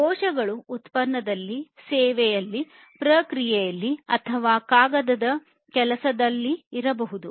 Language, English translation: Kannada, Defects defects can be in the product, in the service, in the process or in the paper works